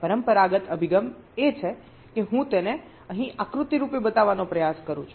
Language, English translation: Gujarati, the conventional approach is that i am just trying to show it diagrammatically here